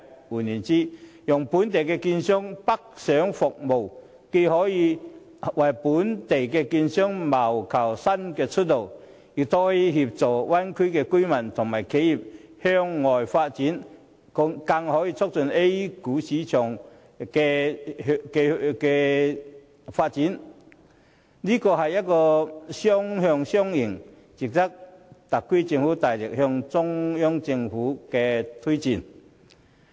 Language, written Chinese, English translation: Cantonese, 換言之，讓本港券商北上服務，既可為本港券商謀求新出路，亦可協助大灣區的居民和企業向外發展，更可促進 A 股市場的發展，正是雙向雙贏，值得特區政府大力向中央政府推薦。, In other words allowing Hong Kong securities dealers to provide services in the Mainland will not only open ups new business opportunities but also facilitates outbound development of residents and enterprises in the Bay Area as well as the development of the A - share market . The SAR Government should strongly recommend this win - win proposal to the Central Government